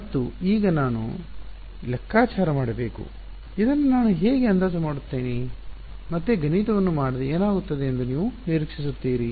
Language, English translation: Kannada, And now I have to figure out how do I approximate this, again without doing the math what do you expect will happen